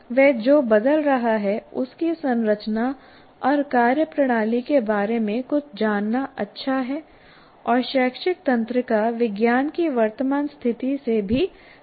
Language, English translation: Hindi, It is good to know something about the structure and functioning of what is changing and also be familiar with the current state of educational neuroscience